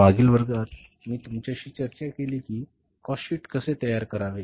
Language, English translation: Marathi, In the previous class I discussed with you that how to prepare the cost sheet